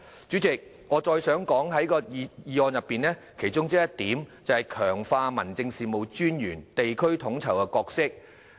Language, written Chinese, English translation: Cantonese, 主席，我想再說一說議案的其中一項，就是"強化民政事務專員的地區統籌角色"。, President I would like to talk further about one of the items in the motion which is strengthening the role of District Officers in district coordination